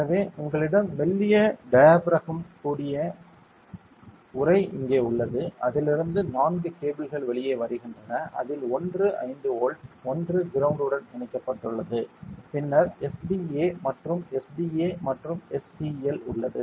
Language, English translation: Tamil, So, you have here the casing with the thin diaphragm inside and four cables come out of this out of which one is 5 volt one is ground and then there are SDA and SDA and SCL ok